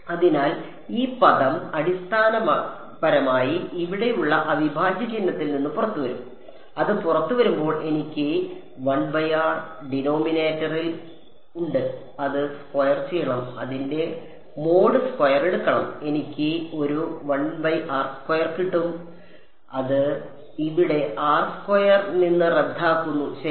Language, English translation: Malayalam, So, this term basically will approximately come out of the integral sign over here; when it comes out I have a 1 by r in the denominator I have to square it take its mod squared I get a 1 by r square, and that cancels of with this r squared over here ok